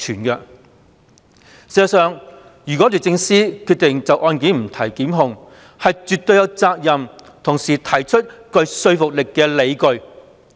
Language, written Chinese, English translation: Cantonese, 事實上，如果律政司決定就案件不提檢控，是絕對有責任同時提出具說服力的理據。, In fact if DoJ decides not to prosecute the case it is definitely obligated to put forth convincing grounds at the same time